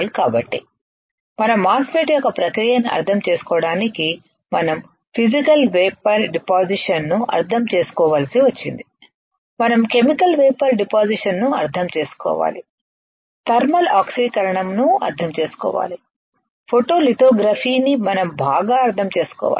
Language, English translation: Telugu, So, to understand the process of our MOSFET we had to understand Physical Vapor Deposition, we had to understand Chemical Vapor Deposition, we have to understand thermal oxidation, we have to understand photolithography alright